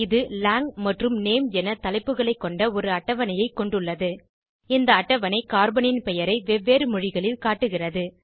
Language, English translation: Tamil, It has a table with headings Lang and Name Table shows Carbons name in various languages